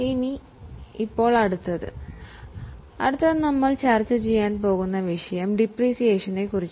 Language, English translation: Malayalam, The next one is the topic which we are going to discuss today that is about depreciation